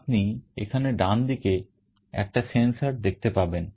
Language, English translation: Bengali, Here you see a sensor on the right side